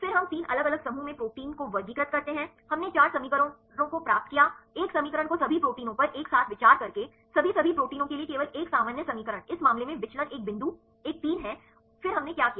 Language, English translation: Hindi, Then we classify the proteins in 3 different groups we derived four equations, one equation by considering all the proteins together, right only one common equation for all the all the proteins in this case the deviation is one point one 3 then what we did